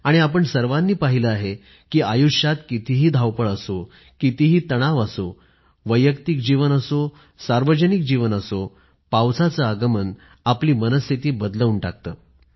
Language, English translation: Marathi, One has seen that no matter how hectic the life is, no matter how tense we are, whether its one's personal or public life, the arrival of the rains does lift one's spirits